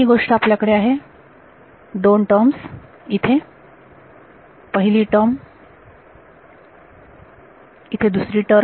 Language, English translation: Marathi, So, one thing you have 2 terms over here first term, second term